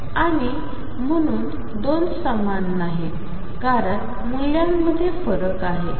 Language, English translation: Marathi, And therefore, 2 are not the same because there is a spread in the values